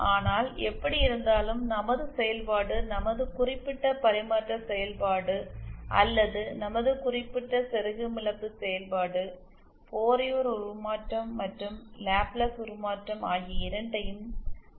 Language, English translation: Tamil, But anyway, we are given that our function, our particular transfer function or our particular insertion loss function has both the Fourier transform as well as the Laplace transform